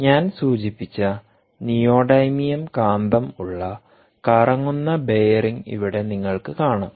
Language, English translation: Malayalam, you can see that, um, we have the rotating bearing here with the neodymium magnet that i mentioned right here